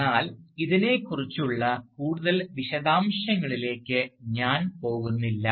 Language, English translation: Malayalam, So, I am not going into further details about this